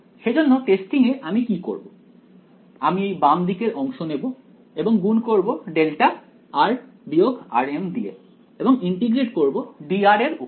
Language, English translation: Bengali, So, in testing what will I do I will take this left hand side and multiplied by delta of r minus r m and integrate over d r